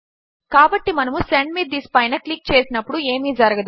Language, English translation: Telugu, So when I click Send me this, nothing happens